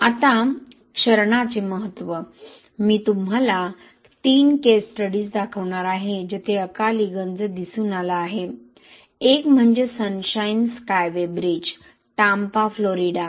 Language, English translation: Marathi, Now significance of corrosion, I am going to show you 3 case studies where premature corrosion has been observed one is the Sunshine Skyway Bridge, Tampa, Florida